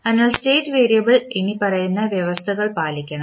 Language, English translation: Malayalam, So state variable must satisfy the following conditions